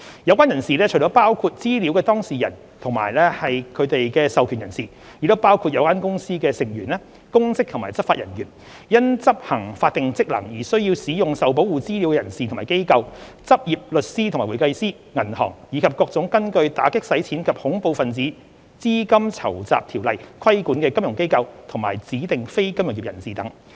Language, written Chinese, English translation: Cantonese, 有關人士除了包括資料當事人及他們的授權人士，亦包括有關公司的成員、公職及執法人員、因執行法定職能而須使用受保護資料的人士和機構、執業律師和會計師、銀行、以及各種根據《打擊洗錢及恐怖分子資金籌集條例》規管的"金融機構"及"指定非金融業人士"等。, Apart from a data subject or a person authorized by a data subject a specified person can also be a member of the company a public officer a law enforcement officer a personorganization who needs to use the Protected Information for execution of statutory functions a practising lawyer a certified public accountant practising a bank or a financial institution and designated non - financial businesses and professions regulated under the Anti - Money Laundering and Counter - Terrorist Financing Ordinance